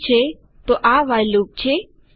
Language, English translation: Gujarati, Okay so thats a WHILE loop